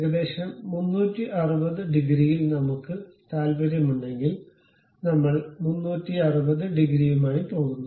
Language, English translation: Malayalam, If we are interested about 360 degrees, we go with 360 degrees